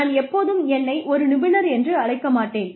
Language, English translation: Tamil, I will not call myself, an expert, ever